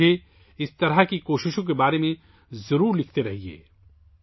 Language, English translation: Urdu, You must keep writing me about such efforts